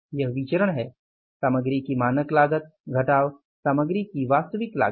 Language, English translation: Hindi, This is the variance, standard cost of material minus actual cost of the material